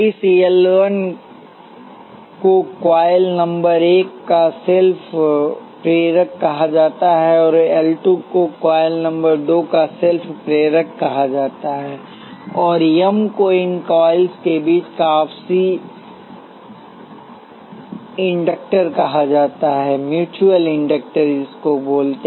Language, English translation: Hindi, This L 1 is called the self inductance of coil number one; and L 2 is called self inductance of coil number two; and the M is called the mutual inductor between these coils